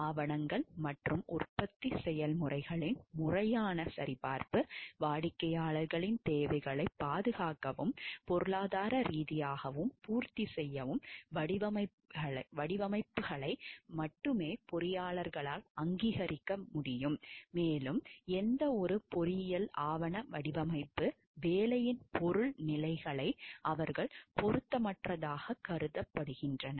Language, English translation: Tamil, Proper verification of documents and production processes, engineers shall approve only those designs which safely and economically meet the requirements of the client and shall not approve any engineering document design material stages of work which they consider to be unsound